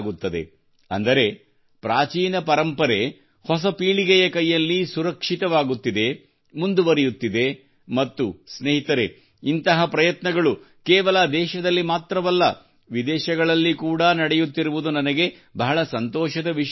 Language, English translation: Kannada, That is, the old heritage is being protected in the hands of the new generation, is moving forward and friends, I am happy that such efforts are being made not only in the country but also abroad